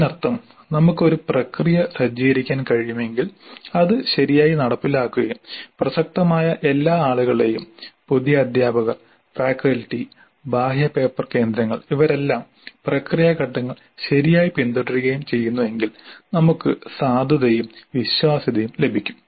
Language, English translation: Malayalam, That essentially means that if we can set up a process, have it implemented properly and how all the relevant people, the new teachers, the faculty, the external paper setters, all of them follow the process steps properly, then we get validity as well as reliability